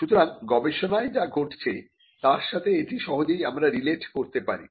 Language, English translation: Bengali, So, we can relate this easily with what is happening in research